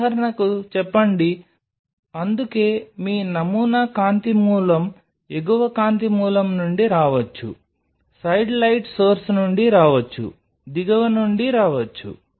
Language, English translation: Telugu, Say for example, this is why your sample is light source may come from top light source may come from side light source may come from bottom